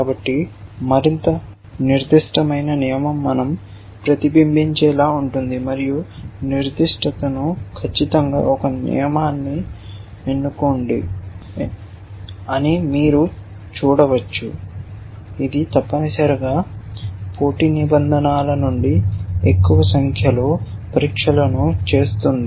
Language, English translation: Telugu, So, you can see that the more specific the rule the greater we would like it to reselected and specificity say exactly that choose a rule, which is making more number of tests out of the competing set of rules essentially